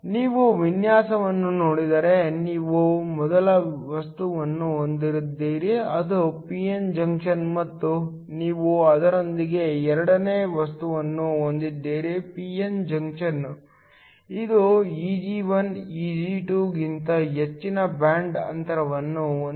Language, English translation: Kannada, If you look at the design you have the first material which has it is p n junction and you have the second material with it is p n junction, this has a band gap Eg1 which is greater than Eg2